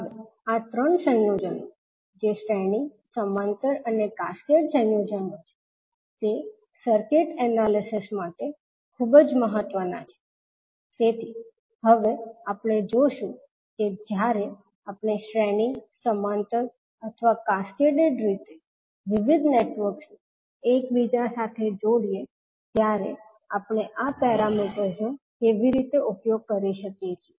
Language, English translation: Gujarati, Now these 3 combinations that is series, parallel and cascaded combinations are very important for the circuit analysis, so we will see now how we can utilise these parameters when we interconnect the various networks either in series, parallel or cascaded manner